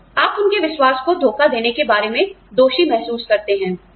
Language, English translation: Hindi, So, you feel guilty, about betraying their trust